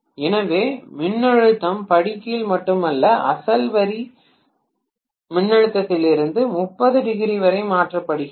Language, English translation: Tamil, So not only the voltage is step down but it is also shifted from the original line voltage by 30 degrees